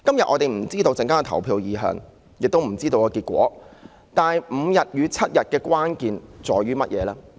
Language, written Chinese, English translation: Cantonese, 我們不知道今天稍後的投票結果為何，但5天與7天假期的關鍵分別在於甚麼？, We do not know what voting result we will have later today but what is the critical difference between five days and seven days paternity leave?